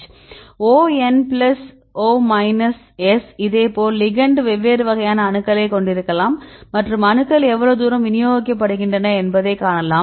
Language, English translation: Tamil, O N plus O minus S right likewise ligand also you can have the different, types of atoms and see how far the atoms are distributed